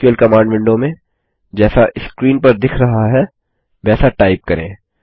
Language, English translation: Hindi, In the SQL command window, let us type as shown in the screen: And execute it